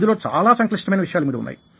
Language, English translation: Telugu, ah, there are lot of complex issues involved in this